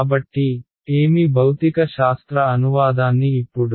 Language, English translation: Telugu, So, what is the physical interpretation now